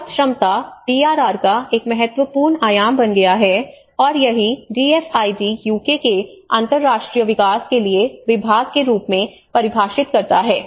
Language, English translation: Hindi, So the word resilience has become an important dimension of the DRR and this is what the DFID defines as the department for international development of UK